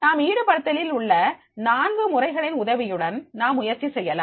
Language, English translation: Tamil, This we can attend with the help of the four modes of engagement